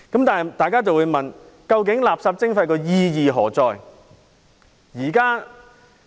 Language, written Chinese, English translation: Cantonese, 但是，大家會問：究竟垃圾徵費意義何在？, However people may ask What is the purpose of municipal solid waste charging?